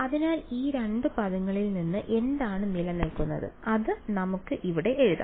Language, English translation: Malayalam, So, from these two terms what survives is going to so, let us write it down over here